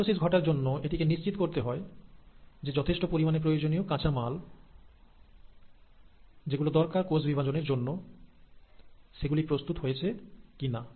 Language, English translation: Bengali, And for mitosis to happen, it has to make sure that the sufficient raw materials which are required to carry out the process of cell division are getting synthesized